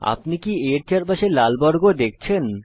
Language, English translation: Bengali, Do you see the red square around a